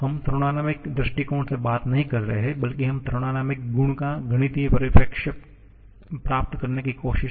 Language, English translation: Hindi, We are not talking in thermodynamic point of view rather we are trying to get a mathematical perspective of a thermodynamic property